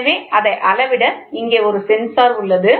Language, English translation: Tamil, So, here is a sensor to measure it